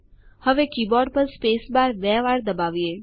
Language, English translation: Gujarati, Now press the spacebar on the keyboard twice